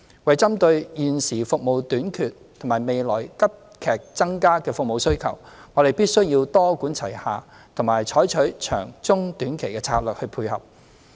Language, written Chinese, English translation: Cantonese, 為針對現時服務短缺及未來服務需求急劇增加，我們必須多管齊下，採取長、中、短期策略來配合。, To address the existing shortage of services and the rapid increase in demand for services in the future we must adopt a multi - pronged approach and supporting strategies in the long medium and short terms